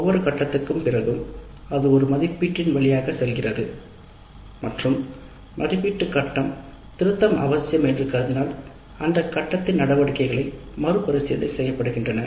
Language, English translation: Tamil, After every phase it goes through an evaluate and if the evaluate phase indicates that a revision is necessary, then the activities in that phase are revisited